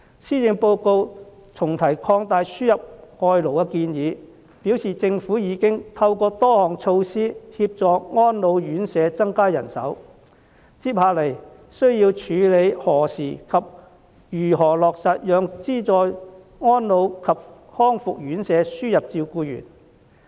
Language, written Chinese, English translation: Cantonese, 施政報告重提擴大輸入外勞的建議，表示政府已經透過多項措施協助安老院舍增加人手，接下來需要處理的是何時及如何落實讓資助安老及復康院舍輸入照顧員。, The Policy Address brings up again the proposal to extend the importation of labour . It says that the Government has been through a number of measures assisting the residential care homes for the elderly RCHEs in the employment of additional manpower . What it needs to do next is to determine when and how to implement the importation of carers in subsidized elderly service and rehabilitation service units